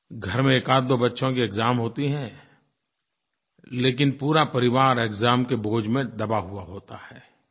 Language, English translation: Hindi, Normally it is one or two children in a home due to appear at their exams, but the entire family feels the burden of it